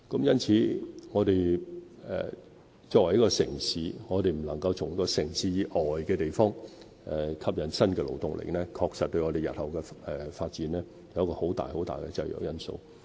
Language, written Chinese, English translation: Cantonese, 因此，對香港這個城市來說，如我們未能從城市以外的地方吸引新的勞動力，確實對我們日後的發展構成一個很大的制約因素。, Hence as far as the city of Hong Kong is concerned our failure to attract new labour force from outside will actually pose a major constraint on our future development